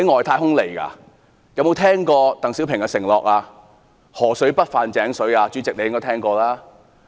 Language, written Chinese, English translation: Cantonese, 他們有否聽過鄧小平"河水不犯井水"的承諾？, Have they heard of DENG Xiaopings promise of river water not encroaching on well water?